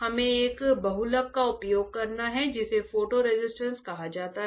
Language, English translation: Hindi, We have to use a polymer called photo resist; photo resist right photo resist alright